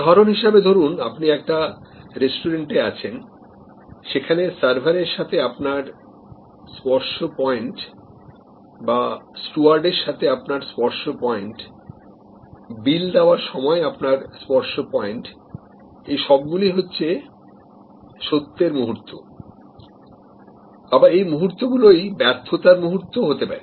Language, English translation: Bengali, So, we discuss with example that for example, you are in a restaurant then your touch point with server, your touch point with the steward, your touch with the server, your touch point with the bill that comes to you, these are all moments of truth, the moments of truth are also points of failure